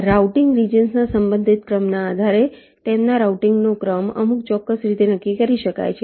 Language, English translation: Gujarati, depending on the relative order of the routing regions, their order of routing can be determined in some particular way